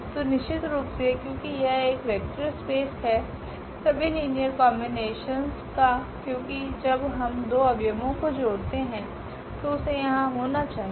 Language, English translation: Hindi, So, definitely because this is a vector space all the all linear combinations because when we add two elements of this must be there